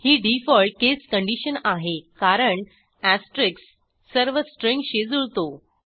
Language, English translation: Marathi, This is the default case condition because the asterisk will match all strings